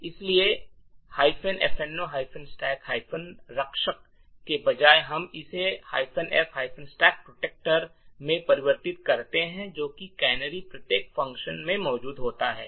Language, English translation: Hindi, So instead of minus F no stack protector we would change this to minus F stack protector which forces that canaries be present in every function